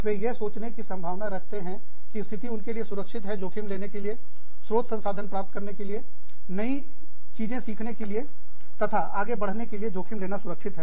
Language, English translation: Hindi, They are likely to think that, conditions are safe for them, to take risks, to obtain more sources, to resources, to learn new things, and grow